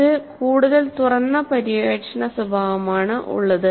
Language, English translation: Malayalam, So, it is a more open ended exploratory nature